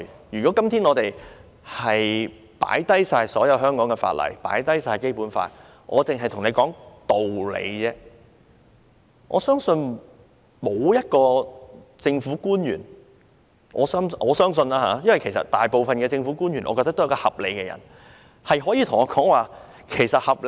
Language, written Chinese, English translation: Cantonese, 如果今天我們放下所有香港法例或《基本法》而只看道理，我相信沒有一位政府官員——我相信每位政府官員都是合理的人——可以跟我說丁屋政策是合理的。, If we only look at the reasoning without considering any laws of Hong Kong or the Basic Law I believe not a single public officer―I think every public officer is a reasonable person―will tell me that the small house policy is rational